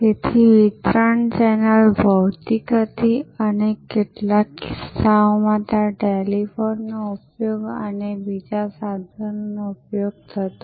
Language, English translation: Gujarati, So, the distribution channel was physical and in some cases there where use of telephone and so on